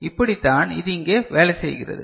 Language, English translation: Tamil, So, this is the way it works over here